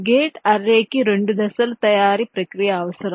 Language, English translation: Telugu, gate array requires a two step manufacturing process